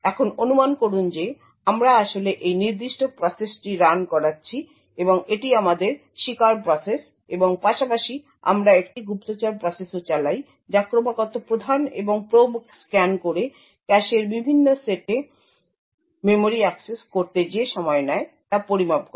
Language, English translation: Bengali, Now assume that we are actually running this particular process and this is our victim process and side by side we also run a spy process which is continuously running the prime and probe scanning the measuring the time taken to make memory accesses to a different sets in the cache